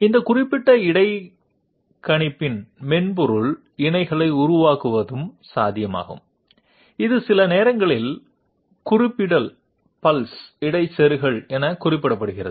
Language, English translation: Tamil, It is also possible to make software counterparts of this particular interpolator, which is sometimes referred to as reference pulse interpolator